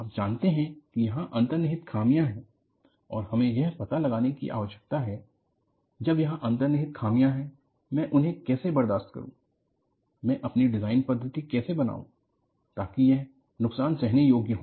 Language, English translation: Hindi, We know that, there are inherent flaws and we need to find out, when there are inherent flaws, how do I tolerate it, how do I make my design methodology; so that, it is damage tolerant